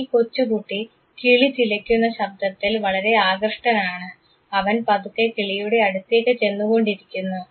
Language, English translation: Malayalam, This young boy is fascinated to the chirping sound of the little bird; he is scrolling and approaching the bird